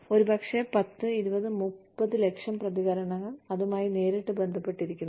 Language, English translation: Malayalam, May be, 10, 20, 30 lakhs, responses, that directly tie with that